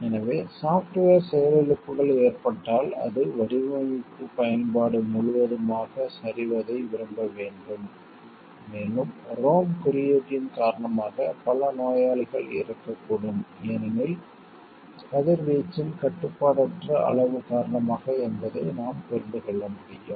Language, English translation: Tamil, So, like if software failures may is happening, then it will need to like collapse of the whole of the design application and we can understand like because of ROM code see a several patients may die because, of the uncontrolled amount of radiation